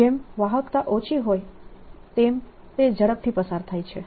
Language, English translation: Gujarati, so a smaller the conductivity, faster it goes